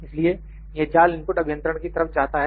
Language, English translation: Hindi, So, this mesh input goes to the engineers